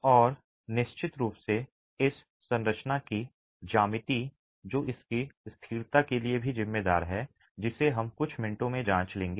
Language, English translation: Hindi, And of course there is the geometry of this structure which is also responsible for its stability which we will examine in a few minutes but it is a massive masonry tower